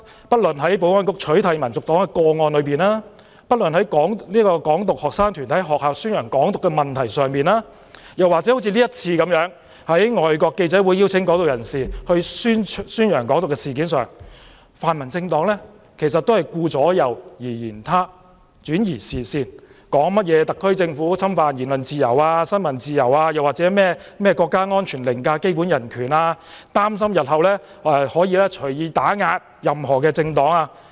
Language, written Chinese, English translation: Cantonese, 不論是在保安局取締民族黨的個案上，還是在"港獨"學生團體在學校宣傳"港獨"的問題上，或這次外國記者會邀請"港獨"人士宣揚"港獨"的事件上，泛民政黨都是顧左右而言他，轉移視線，說特區政府侵犯言論自由、新聞自由，或國家安全凌駕基本人權，擔心日後可以隨意打壓任何政黨。, It does not matter whether the case is about the eradication of HKNP by the Security Bureau or Hong Kong independence student groups publicizing Hong Kong independence at schools or FCC inviting a Hong Kong independence activist to publicize Hong Kong independence pan - democratic parties always beat around the bush and create red herrings such as accusing the SAR Government of violating freedom of speech and freedom of the press or expressing their concerns over national security overriding basic human rights or the arbitrary suppression of any political party in the future